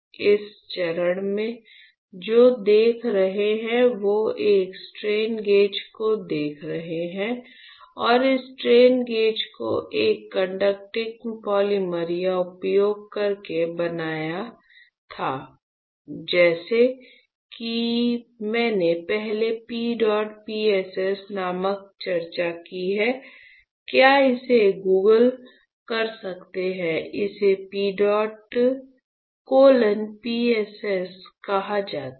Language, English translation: Hindi, In this step what you are looking at, you are looking at a strain gauge and this strain gauge we had to fabricate using a conducting polymer like I have discussed earlier called P dot PSS all right, you can Google it, it is called PEDOT colon PSS right